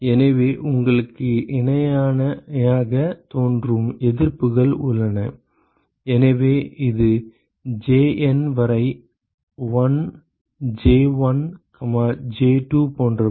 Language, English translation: Tamil, Therefore, you have resistances which appear in parallel, so this is 1 J1, J2, etc up to JN